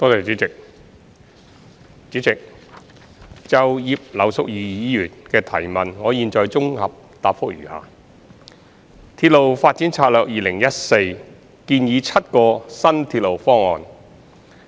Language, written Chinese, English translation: Cantonese, 主席，就葉劉淑儀議員的質詢，現綜合答覆如下：《鐵路發展策略2014》建議7個新鐵路方案。, President my consolidated reply to Mrs Regina IPs question is as follows The Railway Development Strategy 2014 RDS - 2014 recommends seven new railway schemes